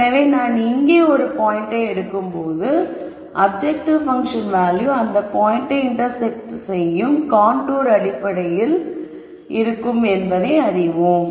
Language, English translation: Tamil, So, for example, you could pick this point and the objective function value at that point would be corresponding to a contour which intersects this point